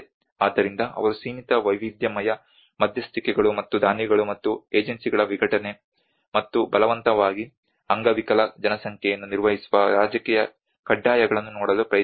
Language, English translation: Kannada, So they are try to look at a limited variety of interventions and a fragmentation of donors and agencies and political imperatives managing forcibly disabled populations